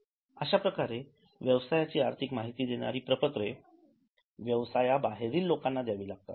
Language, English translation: Marathi, So, financial statements are passed on to outsiders of the business